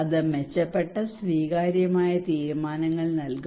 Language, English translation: Malayalam, It will give better accepted decisions